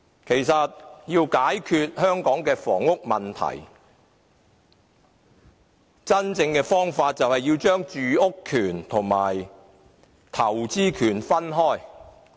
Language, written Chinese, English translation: Cantonese, 其實，要真正解決香港的房屋問題，便要將住屋權和投資權分開。, Actually in order to truly resolve the housing problem in Hong Kong we must separate the right to housing from the right to investment